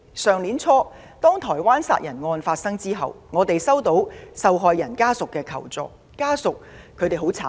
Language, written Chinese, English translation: Cantonese, 去年年初，台灣殺人案發生後，我們接獲受害人家屬求助。, At the beginning of last year after the occurrence of the homicide case in Taiwan members of the victims family approached us for assistance